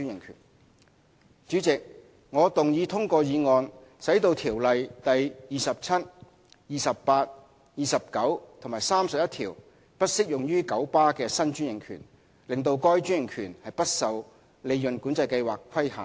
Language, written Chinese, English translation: Cantonese, 代理主席，我動議通過議案，使《條例》第27、28、29和31條不適用於九巴的新專營權，令該專營權不受利潤管制計劃規限。, Deputy President I move that the motion to disapply sections 27 28 29 and 31 of the Ordinance to the new franchise of KMB be passed so as to exclude the application of PCS to that franchise